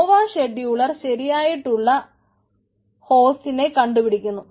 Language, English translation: Malayalam, nova scheduler finds i appropriate host